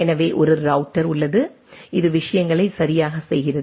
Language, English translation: Tamil, So, there is an router which goes on the things right